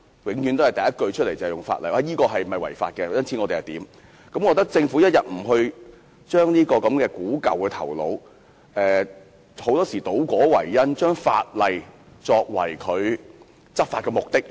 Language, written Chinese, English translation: Cantonese, 他們第一考量往往是有關做法是否違法，政府一定要把這守舊的思維丟棄，不應常常倒果為因，將法例作為執法目的。, The first thing the authorities consider is whether or not certain practices contravene the law . The Government must discard this conservative mentality . It should not always mix up the means with the ends overlooking that laws are merely a means to the end in enforcement